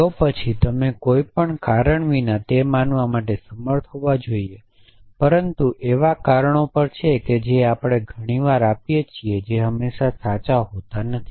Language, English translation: Gujarati, Then you should be able to believe it without any reason, but there are forms of reason that we often do which are not necessarily always true